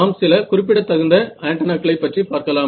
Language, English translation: Tamil, So, let us look at some typical antennas ok